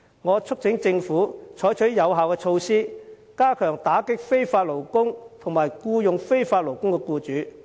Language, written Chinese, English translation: Cantonese, 我促請政府採取有效的措施，加快打擊非法勞工及僱用非法勞工的僱主。, I urge the Government to adopt effective measures and speed up their crackdown on illegal workers and their employers